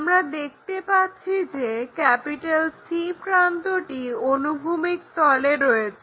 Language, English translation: Bengali, We can see end C is in horizontal plane